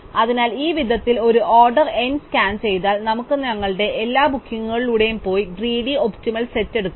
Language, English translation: Malayalam, So, in this way one order n scan we can go through all our bookings and pick up a greedy optimum set